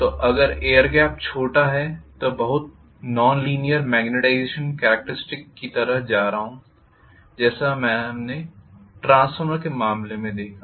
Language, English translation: Hindi, So if the air gap is smaller I am going to have highly non linear magnetization characteristics like what we saw in the case of transformer